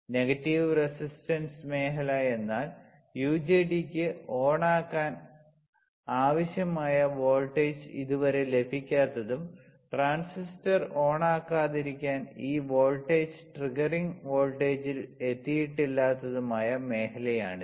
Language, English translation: Malayalam, Negative resistance region; so, what is kind of region that this is the region where the UJT does not yet receive enough voltage to turn on and this voltage hasn't reached the triggering voltage so that the transistor will not turn on